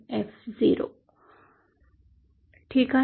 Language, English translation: Marathi, This whole was, okay